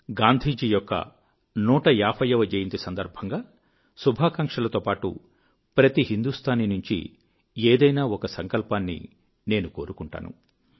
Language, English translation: Telugu, Once again, along with greetings on Gandhiji's 150th birth anniversary, I express my expectations from every Indian, of one resolve or the other